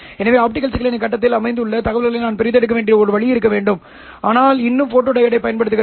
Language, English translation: Tamil, So there has to be a way in which I have to extract information which is located in the face of the optical signal, but still use a photodiod